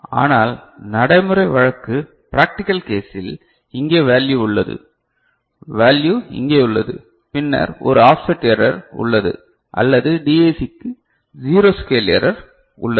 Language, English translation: Tamil, But, practical case if you find that the value is over here the value is over here ok, then there is a offset error or there is a zero scale error for the DAC